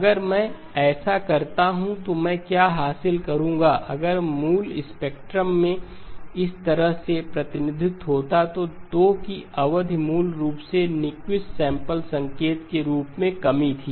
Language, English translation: Hindi, If I do this then what I will, what I would have achieved is if the original spectrum had a representation of this kind from minus pi to pi, the period of 2pi, basically it was less as Nyquist sample signal